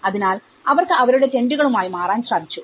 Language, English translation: Malayalam, So that, you know they can move with their tents